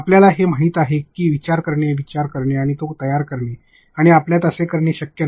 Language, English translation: Marathi, You know going on in thinking, thinking and creating and making you cannot do that